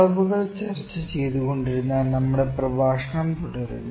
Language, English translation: Malayalam, So, we will continue the lecture in which we will discussing about measurements